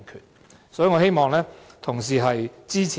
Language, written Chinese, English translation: Cantonese, 因此，我希望同事支持。, Hence I hope Honourable colleagues will support my amendment